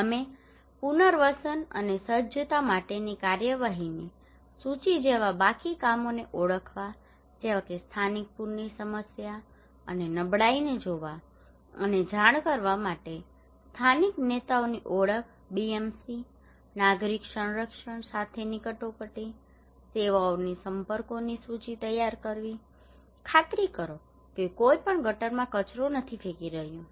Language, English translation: Gujarati, Also we list of actions for rehabilitation and preparedness like to identifying the pending works BMC identifying the local leaders to look and report local flood problem and vulnerability, preparing list of contacts of emergency services meeting with civil defence, ensuring that nobody is throwing waste in gutters